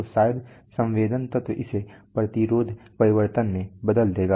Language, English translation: Hindi, So maybe the sensing element will convert this to a resistance change